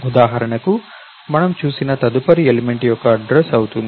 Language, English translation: Telugu, Position for example, becomes the address of the next element as we saw